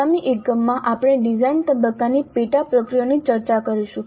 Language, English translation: Gujarati, Now in the next unit we will discuss the design phase sub processes